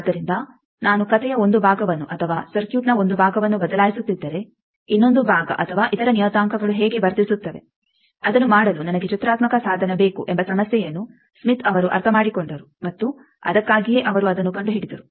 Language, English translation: Kannada, So, smith he understood this problem that, if I am changing one part of the story or one part of a circuit how the other part is or other parameters are behaving I need to have a graphical tool to do that and that is why he invented that